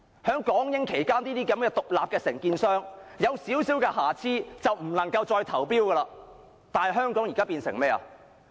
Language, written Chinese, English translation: Cantonese, 在港英期間，獨立承建商若有少許瑕疵便不能再投標，但香港現時變成怎樣？, During the British - Hong Kong era if an independent contractor committed a minor fault it could not bid in future tenders; but what has Hong Kong become now?